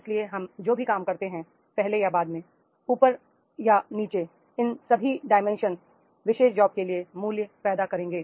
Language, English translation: Hindi, So, whatever job we do and before and after and the above and below, all these dimensions that will create the value to the particular job